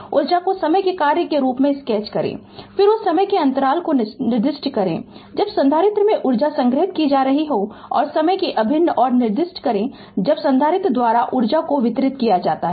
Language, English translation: Hindi, Sketch the energy as function of time, then specify the interval of time when energy is being stored in the capacitor and specify the integral of time when the energy is delivered by the capacitor